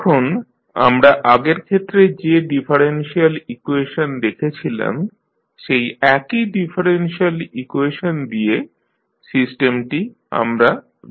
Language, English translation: Bengali, Now, let us consider the system given by the differential equation same differential equation we are using which we saw in the previous case